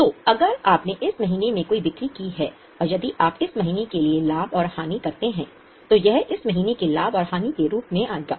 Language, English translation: Hindi, So, if you have made any sales in this month and if you make profit and loss for this month, it will come as a profit and loss of this month but it cannot be shown in the next year